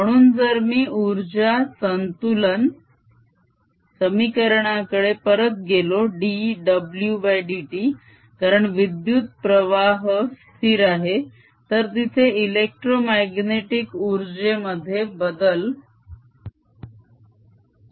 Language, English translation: Marathi, so if we, if i go back to that energy balance equation d w by d t, since the current is steady, there's no change in the electromagnetic energy